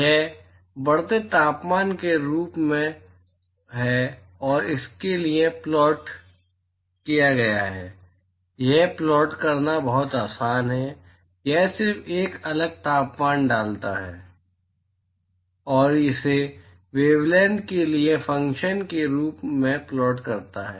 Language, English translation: Hindi, This is as increasing temperature and this has been plotted for, it is very easy to plot, this just put a different temperature and plot it as a function of the wavelength